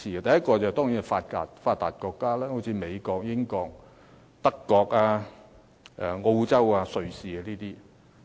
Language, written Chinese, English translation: Cantonese, 第一個層次是發達國家，例如美國、英國、德國、澳洲和瑞士等國家。, The first level covers developed countries such as the United States the United Kingdom Germany Australia Switzerland etc